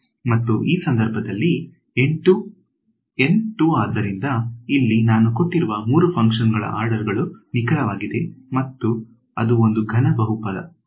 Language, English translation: Kannada, And in this case N is 2 so, this is accurate to order 3 my given function over here is a cubic polynomial